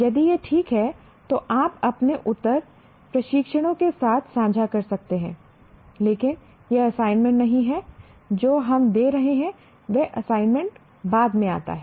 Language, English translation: Hindi, If it is okay, you can share your answers with the instructors, but this is not the assignment that we are giving